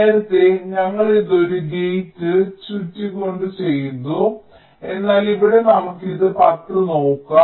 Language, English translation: Malayalam, earlier we did it by moving a gate around, but here lets see this ten